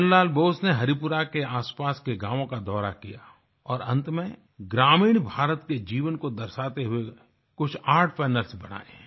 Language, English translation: Hindi, Nandlal Bose toured villages around Haripura, concluding with a few works of art canvas, depicting glimpses of life in rural India